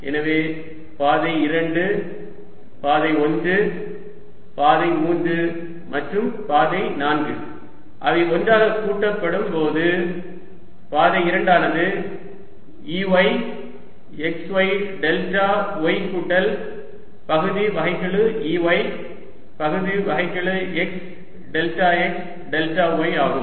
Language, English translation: Tamil, so path two and path one and path three and path four when they are added together, path two was e, y, x, y, delta y, plus partial e, y, partial x, delta x, delta y